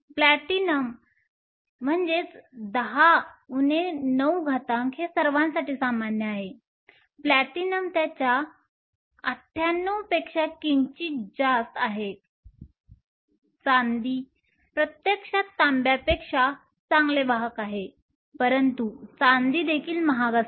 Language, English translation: Marathi, Platinum is slightly higher is 98, Silver is actually a better conductor than Copper, but Sliver is also expensive